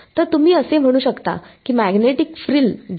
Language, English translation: Marathi, So, you can say that the take the magnetic frill